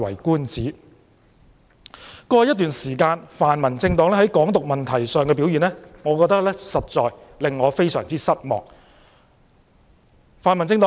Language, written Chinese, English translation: Cantonese, 過去一段時間，泛民政黨在"港獨"問題上的表現，實在令我覺得非常失望。, Over the past period of time I am really disappointed with the actions taken by pan - democratic parties in handing Hong Kong independence